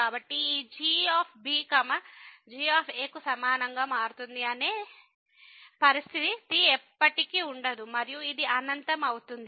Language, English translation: Telugu, So, there will be never such a situation that this will become equal to and this will become infinity